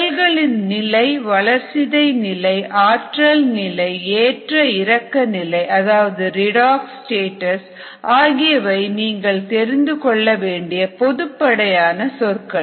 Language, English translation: Tamil, these terms cellular status, metabolic status, energy status and so on, so forth, redox status and so on, these are kind of soft terms you knowneed to